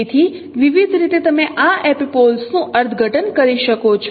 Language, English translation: Gujarati, So in various ways you can interpret this epipoles